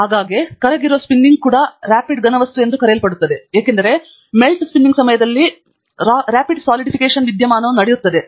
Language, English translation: Kannada, A very often Melt Spinning is also referred to as Rapid Solidification, because during Melt Spinning, Rapid Solidification phenomenon takes place